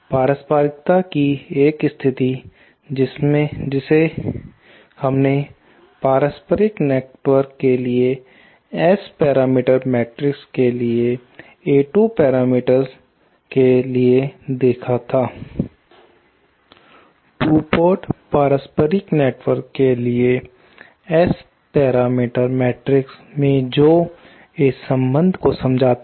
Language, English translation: Hindi, A condition of reciprocity that we saw for reciprocal networks for S parameter matrix for A2, in an S parameter matrix for a 2 port reciprocal network that boils down to this relationship